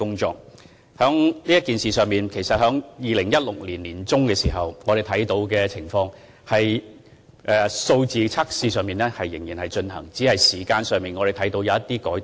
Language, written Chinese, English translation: Cantonese, 就此事而言，在2016年年中，我們看到測試仍然在進行，只是時間上有些改動。, In this case we noticed that tests were still conducted in mid - 2016 only that the testing times had been tampered